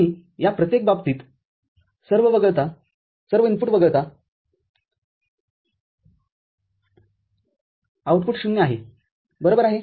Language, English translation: Marathi, And for each of these cases, except when all the inputs are 1, output is 0 right